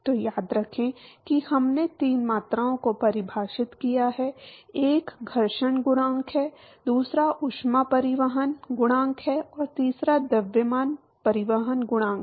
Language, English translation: Hindi, So, remember that we defined three quantities, one is the friction coefficient, the other one is the heat transport coefficient and the third one is the mass transport coefficient